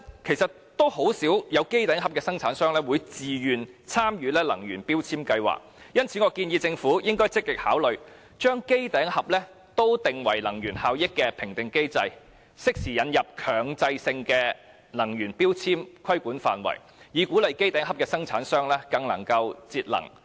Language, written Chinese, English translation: Cantonese, 可是，甚少會有機頂盒生產商自願參與強制性標籤計劃。因此，我建議政府積極考慮把機頂盒納入能源效益的評核機制，適時引入強制性的能源標籤規管範圍，以鼓勵機頂盒生產商更注重節能。, However set - top box manufacturers seldom voluntarily participate in MEELS so I suggest that the Government should actively consider assessing the energy efficiency of set - top boxes and including them under MEELS as appropriate so as to encourage set - top box manufacturers to attach more importance to energy efficiency